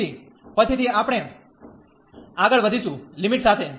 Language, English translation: Gujarati, So, later on we will be going taking on the limit